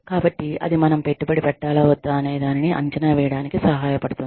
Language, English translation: Telugu, So, that can help us evaluate, whether, we should invest in it, further or not